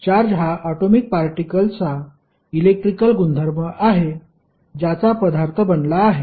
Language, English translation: Marathi, Charge is an electrical property of atomic particle of which matter consists